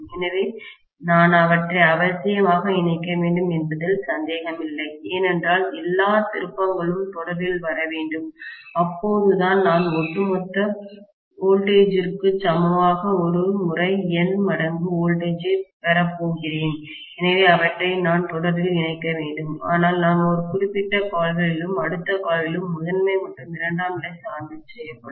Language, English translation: Tamil, So, I have to necessarily connect them, no doubt, because all the turns have to come in series, only then I am going to get N times voltage per turn equal to the overall voltage, so I have to connect them in series but I will have essentially primary and secondary sandwiched in one particular limb itself and the next limb also, yes